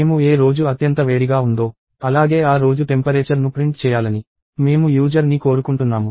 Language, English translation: Telugu, So, what I want the user to print is print the day in which the day was the hottest as well as a temperature of that day